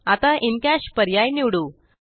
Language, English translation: Marathi, Lets select the In Cash option